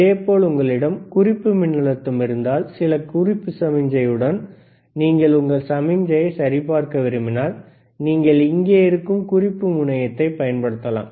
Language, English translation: Tamil, Similarly, if you have a reference voltage, and you want to check that is the signal with respect to some reference signal, then you can use a reference terminal here,